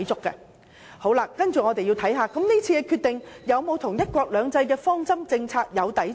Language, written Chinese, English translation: Cantonese, 接下來，我們要看看這次的決定是否與"一國兩制"的方針政策相抵觸呢？, Next we should examine whether the decision this time around contravenes the one country two systems policy